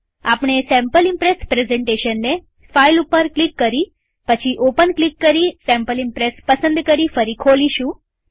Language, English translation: Gujarati, We will open the Sample Impress presentation again.click on File and Open and select Sample Impress